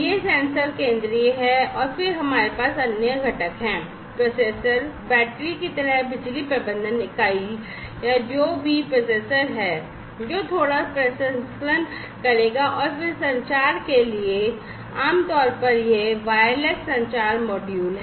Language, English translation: Hindi, So, these sensors are the central ones, then, we have the other components, the processor, the power management unit like battery or whatever processor is the one, who will do a little bit of processing and then for communication, typically, it is the wireless communication module